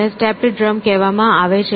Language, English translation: Gujarati, It is called as stepped drum